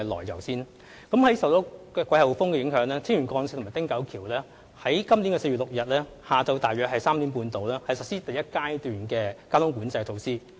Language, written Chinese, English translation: Cantonese, 由於受到季候風影響，青嶼幹線及汀九橋在4月6日下午3時半左右實施第一階段的交通管制措施。, Owing to monsoon Stage I of high wind traffic management was implemented on the Lantau Link and Ting Kau Bridge at around 3col30 pm on 6 April